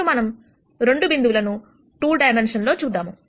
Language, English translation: Telugu, Now, let us con sider a case where we have 2 points in 2 dimensions